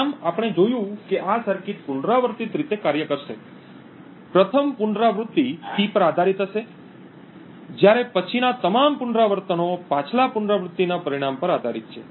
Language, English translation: Gujarati, Thus, what we see that this circuit would operate on in an iterative manner, the first iteration would be based on P, while all subsequent iterations are based on the result of the previous iteration